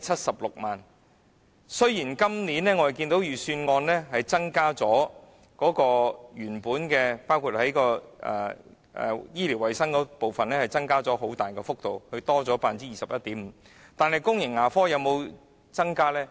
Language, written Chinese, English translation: Cantonese, 雖然今年預算案在原本醫療衞生部分的撥款增幅很大，達 21.5%， 但公共牙科部分有沒有增加呢？, Although the funds allocated to the health care section have increased significantly by as much as 21.5 % in the Budget this year is there any increase in the public dental care section?